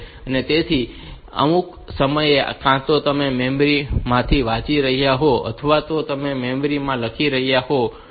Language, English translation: Gujarati, So, at some point of time either you are reading from the memory or you are writing to the memory